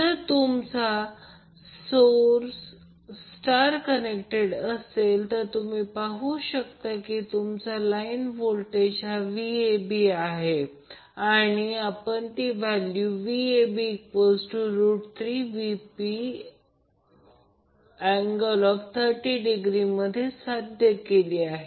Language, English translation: Marathi, So since the source is your star connected, so you will see that the line voltage will be Vab and we derived that the value of Vab will be root 3 Vp angle 30 degree